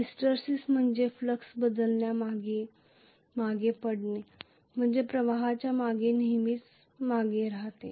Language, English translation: Marathi, Hysteresis means lagging behind the flux change always lags behind the current